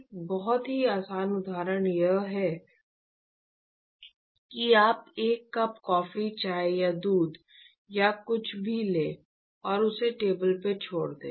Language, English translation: Hindi, A very easy example is you take a cup of coffee tea or milk or whatever and just leave it on the table